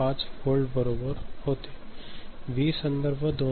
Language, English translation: Marathi, 5 volt right, V reference was 2